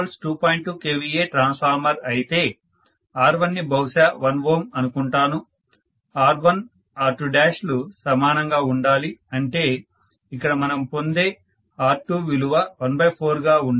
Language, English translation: Telugu, 2 kVA transformer, maybe let me say R1 is 1 ohm, whereas R2 what I got it should be 1 by 4, if it is has to be equal, it can be probably instead of 0